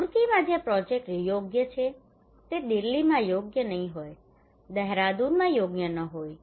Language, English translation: Gujarati, The project that is appropriate in Roorkee may not be appropriate in Delhi, may not be appropriate in Dehradun